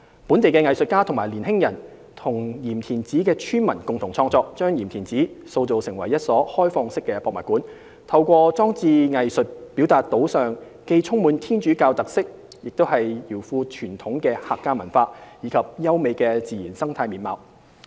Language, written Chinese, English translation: Cantonese, 本地藝術家及年輕人與鹽田梓村民共同創作，將鹽田梓塑造成一所"開放式的博物館"，透過裝置藝術表達島上既充滿天主教特色又饒富傳統的客家文化，以及優美的自然生態面貌。, Co - created by local artists youngsters and villagers the island has been turned into an open museum showcasing the co - existence of Roman Catholicism and traditional Hakka culture and the spectacular natural landscape with installation art